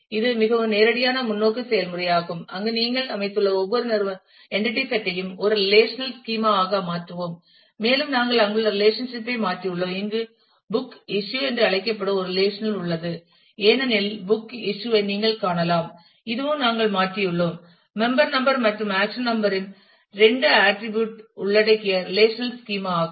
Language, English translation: Tamil, This is a more straight forward process where you just convert every entity set into a relational schema and also we have converted the relationship there was a there is a relationship called book issue here as you can see the book issue this also we have converted to a relational schema involving the two attributes of member number and the accession number